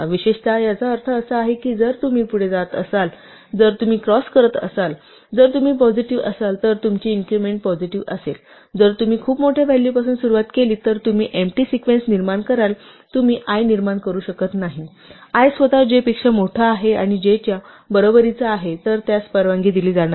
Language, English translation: Marathi, In particular, what this means is that if you are going forward, if you are crossing, if you have positive, if your increment is positive then if you start with the value which is too large then you will generate the empty sequence because you cannot even generate i because i itself is bigger than j or equal to j then that would not be allowed